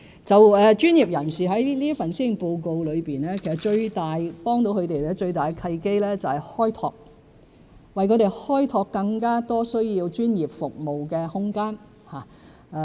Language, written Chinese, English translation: Cantonese, 在這份施政報告中，最能協助專業人士的契機是"開拓"，為他們開拓更多需要專業服務的空間。, In the Policy Address the initiative to open up more room that requires provision of professional services will be most helpful to professionals